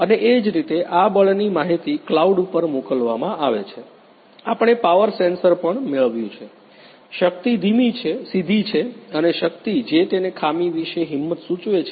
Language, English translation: Gujarati, And this force data is sent to the cloud similarly, we have also acquired the power sensor, power is a direct and the power it has got the direct indication about the defects